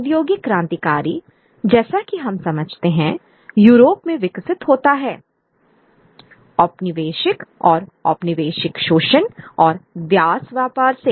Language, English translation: Hindi, In the understanding industrial society, the industrial revolution as we understand in Europe develops on the back of the colonial exploitation and the slave trade